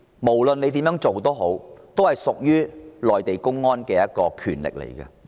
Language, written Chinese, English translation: Cantonese, 無論如何，批准的權力屬於內地公安。, In any case the approval power rests with the public security authorities of the Mainland